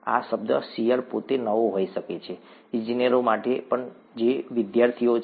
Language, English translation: Gujarati, This term shear itself could be new, even to engineers who are students